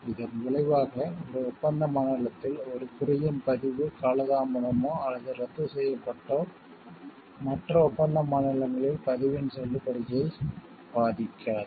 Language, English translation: Tamil, Consequently, the lapse or annulment of a registration of a mark in one contracting state will not affect the validity of the registration in the other contracting states